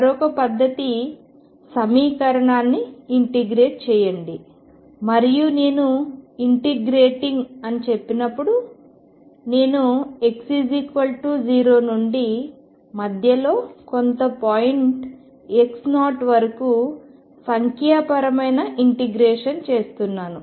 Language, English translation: Telugu, The other method was start integrating the equation and when I say integrating I mean I am doing numerical integration from x equals 0 up to some point x 0 in the middle